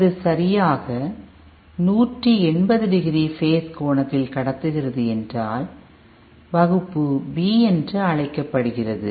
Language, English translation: Tamil, If it is conducting for exactly 180 degree phase angle, then it is called Class B